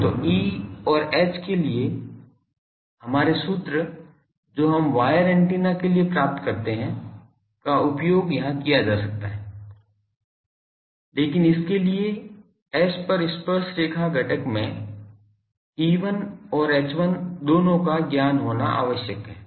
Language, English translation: Hindi, So, our formulas for E H that we derived for wire antennas can be used here, but this requires knowledge of both E1 and H1 in tangential component over S